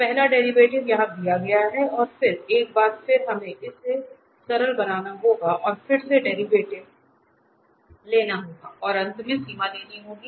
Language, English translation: Hindi, So, the first derivative is given here, then once again we have to first simplify this and then take the derivative again and finally take the limit